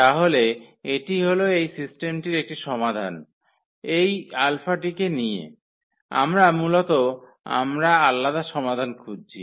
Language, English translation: Bengali, So, that will be one solution of this system by choosing this alphas basically we are looking for different different solutions